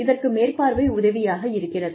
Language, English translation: Tamil, So, the supervision helps you